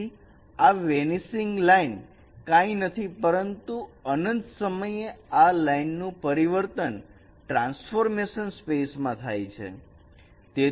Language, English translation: Gujarati, So, this vanishing line is nothing but the transformation of this line at infinity into this transformation space